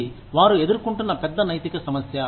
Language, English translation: Telugu, That is a big ethical issue, that they face